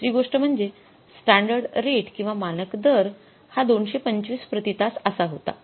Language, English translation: Marathi, Second thing, our standard rate was 225 per hour, right